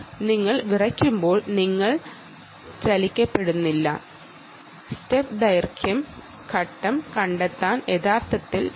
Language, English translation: Malayalam, right, when you shiver, you are not moved, but step length step detection has actually happened